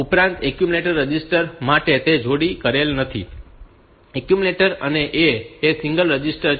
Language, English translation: Gujarati, Also, for the accumulator register we it is it is not paired accumulator A is a single register